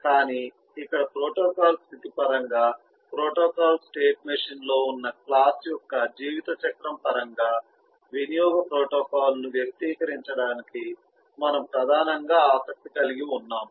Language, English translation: Telugu, but eh, here in we, in terms of the protocol state, we are primarily interested to express the usage protocol in terms of the lifecycle of a class